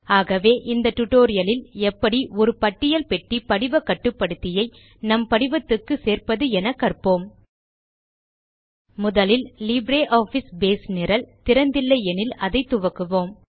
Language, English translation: Tamil, In this tutorial, we will learn how to Add a List Box form control to a form In the last tutorial, we learnt how to modify a form using LibreOffice Base